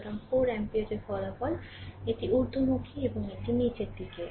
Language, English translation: Bengali, So, resultant of 4 ampere it is upward and it is downwards